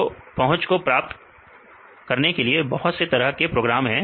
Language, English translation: Hindi, So, there are various programs to get the accessibility